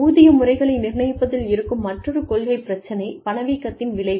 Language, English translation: Tamil, Another policy issue, in determining pay systems, is the effect of inflation